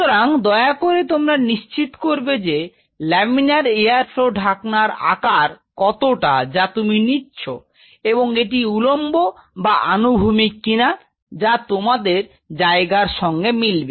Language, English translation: Bengali, So, please ensure whatever size of a laminar flow hood you are getting, where this a vertical or horizontal it should match into the space